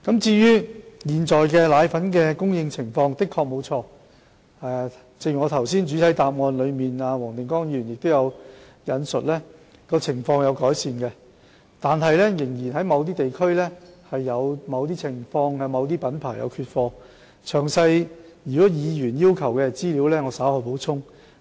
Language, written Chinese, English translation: Cantonese, 至於現時配方粉的供應情況，正如黃定光議員剛才在主體質詢中引述，情況有所改善，但在某些地區仍有某些品牌的配方粉缺貨，如果議員要求詳細的資料，我稍後會補充。, In respect of the present supply of powdered formula as quoted by Mr WONG Ting - kwong from the main question improvements have been seen but there are still shortages of products of individual brands in certain districts . If Members wish to have more detailed information I will supply later on